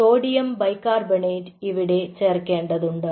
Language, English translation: Malayalam, you do sodium bicarbonate